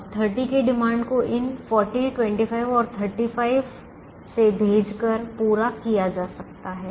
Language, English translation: Hindi, now the demand of thirty has to be met by sending things from these forty, twenty five and thirty five